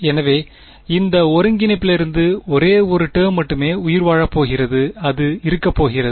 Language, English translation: Tamil, So, only one term is going to survive from this integral and that is going to be